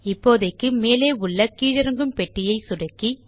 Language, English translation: Tamil, Now, click on the Condition drop down box